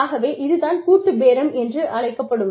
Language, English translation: Tamil, And, that is called collective bargaining